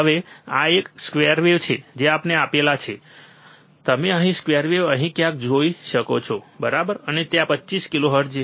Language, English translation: Gujarati, Now, this is a square wave that we have applied, you can see square wave here somewhere here, right and there is 25 kilohertz